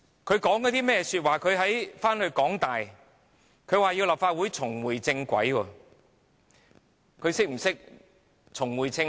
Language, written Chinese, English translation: Cantonese, 他回去香港大學演講，說立法會要重回正軌，他是否懂得何謂重回正軌？, In his speech at the University of Hong Kong he said that the Legislative Council must get back onto the right track . Does he know what is the meaning of getting back onto the right track?